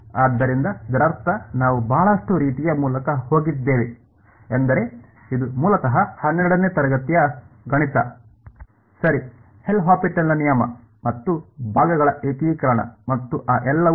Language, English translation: Kannada, So, this is I mean we have gone through a lot of very sort of I mean this is basically class 12th math right L’Hopital’s rule and integration by parts and all of that right